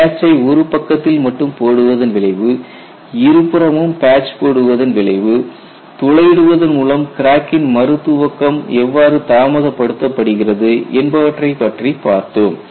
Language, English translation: Tamil, What is the effect of putting patch on one side, putting patch on both sides, then how does the whole helps in delaying the crack re initiation